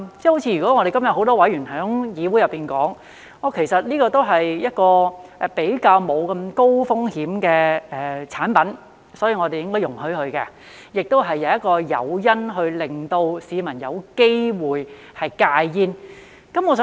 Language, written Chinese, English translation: Cantonese, 正如很多議員今天在議會內說，其實這些也是相對沒有那麼高風險的產品，所以我們應該容許，而且亦是一個誘因，令市民有機會戒煙。, As many Members have said in the Council today they are in fact relatively less risky products and so should be permitted . They also serve as an incentive for the public to quit smoking